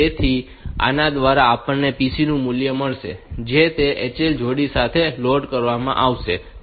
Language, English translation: Gujarati, So, this will be getting us the value of the pc value will be loaded with that HL pair